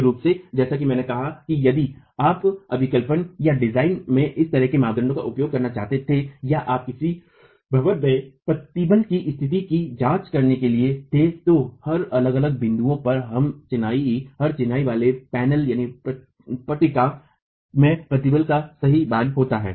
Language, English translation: Hindi, Primarily as I said if you were to use this sort of a criterion in design or you were to examine the states of stresses in a building, every masonry panel at every different point is going to have a different value of stress